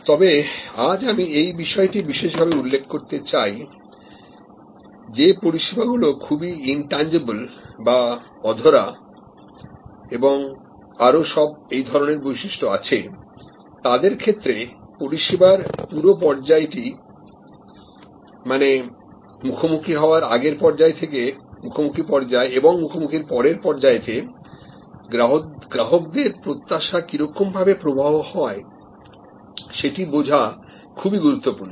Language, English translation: Bengali, But, today I would like to highlight that in service which is highly intangible and has all those other characteristics understanding customer expectation as they flow from pre encounter to encounter to post encounter stage is very important